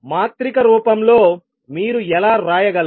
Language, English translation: Telugu, So, in matrix from how you can write